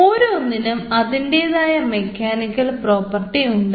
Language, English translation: Malayalam, one, its mechanical properties varies